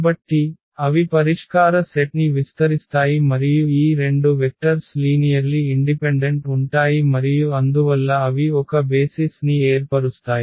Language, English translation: Telugu, So, they span the solution set and these two vectors are linearly independent and therefore, they form a basis